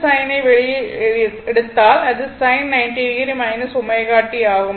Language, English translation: Tamil, So, it will be sin 90 degree minus omega t